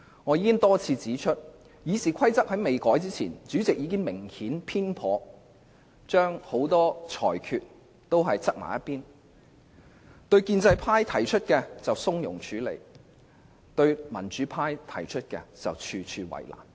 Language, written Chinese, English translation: Cantonese, 我已多次指出，即使在建制派建議修訂《議事規則》前，主席很多裁決已明顯有所偏頗，對建制派提出的要求從容處理，對民主派提出的要求則處處為難。, As I have said time and again even before the proposed amendment of RoP by pro - establishment Members many rulings of the President were obviously biased . He dealt with the requests of pro - establishment Members leniently but made things difficult for the democrats when dealing with their requests